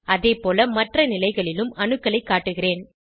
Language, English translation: Tamil, Likewise I will display atoms at other positions